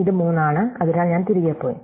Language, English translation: Malayalam, It is 3, so I went back